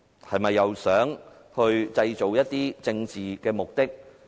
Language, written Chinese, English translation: Cantonese, 是否又想藉此製造一些政治事件？, Do they want to create another political incident?